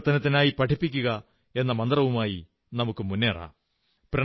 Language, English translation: Malayalam, Come, let's move forward with the mantra, Teach to Transform